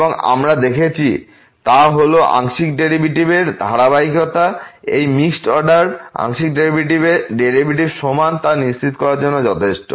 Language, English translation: Bengali, And what we have also seen that the continuity of the partial derivative is sufficient to ensure that these two mixed order partial derivatives are equal